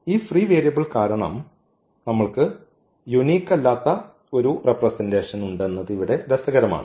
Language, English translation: Malayalam, What is interesting here that we have a non unique representation because of this free variable